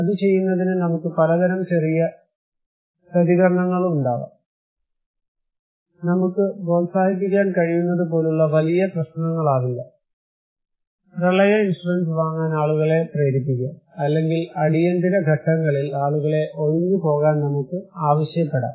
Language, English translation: Malayalam, So, in order to do that, we have many kind of small countermeasures, not a very big issue like we can promote, we can motivate people to buy flood insurance or we can ask people to evacuate during emergency